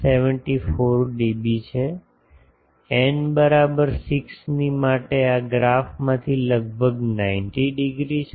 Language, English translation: Gujarati, 74 dB, for n is equal to 6 this from the graph is almost 90 degree